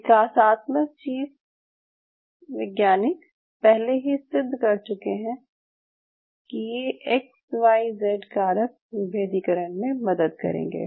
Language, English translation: Hindi, So what development biologists have already proven that these, these, these X, Y Z factors can help in the differentiation or this